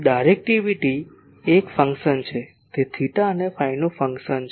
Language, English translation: Gujarati, So, directivity is a function it is a function of theta and phi